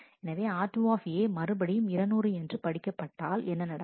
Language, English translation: Tamil, So, what happens if r 2 A is read Again 200 is read